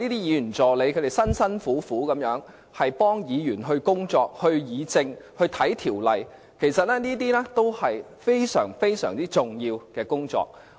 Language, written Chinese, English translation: Cantonese, 議員助理辛勤工作，協助議員工作、議政、翻查條例，這都是非常重要的工作。, The work of the assistants is very important as they have to work hard to assist Members in performing their duties discussing politics and looking up ordinances